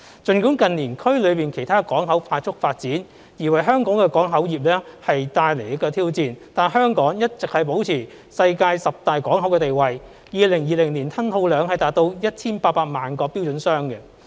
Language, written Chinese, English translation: Cantonese, 儘管近年區內其他港口快速發展而為香港港口業務帶來挑戰，但香港一直保持其世界十大港口的地位 ，2020 年吞吐量達 1,800 萬個標準箱。, Despite the challenges brought by the rapid growth of other ports in the region to Hong Kongs port business in recent years Hong Kong maintains its status as one of the worlds top 10 ports with the cargo throughput of 2020 reaching 1 800 twenty - foot equivalent units